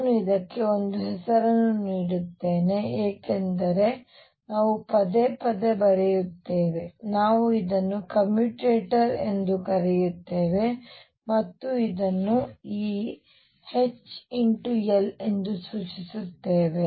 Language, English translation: Kannada, Let me give this a name because we will keep coming again and again we call this a commutator and denote it as this H L